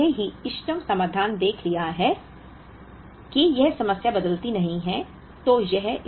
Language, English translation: Hindi, So, we have already seen the optimum solution to it